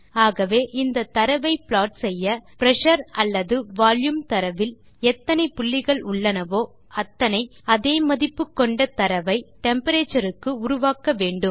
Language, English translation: Tamil, So to plot this data we need to create as many points as there are in Pressure or Volume data for Temperature , all having the same value